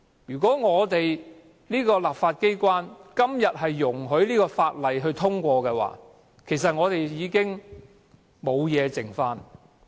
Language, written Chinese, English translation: Cantonese, 如果立法機關今天容許《條例草案》通過，香港還有甚麼價值？, If the legislature allows the Bill to be passed today what values can Hong Kong hold on to?